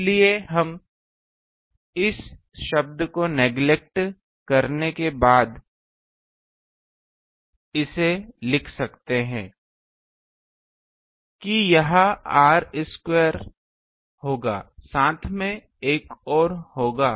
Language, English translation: Hindi, So, we can write this after neglecting this term that; this will be r square along there will be another one